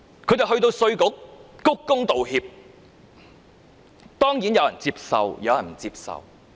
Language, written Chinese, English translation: Cantonese, 他們到稅務局鞠躬道歉，當然有人接受有人不接受。, They went to the Inland Revenue Department to bow and apologize . Certainly some would accept their apology but some would not